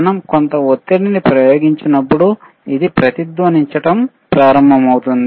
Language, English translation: Telugu, wWhen we apply some pressure, it will start resonating